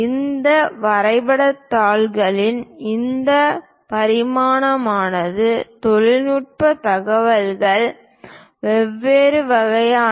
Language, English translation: Tamil, This dimensioning of these drawing sheets are the technical information is of different kinds